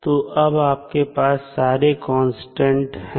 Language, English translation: Hindi, So, now you have all the constants in your hand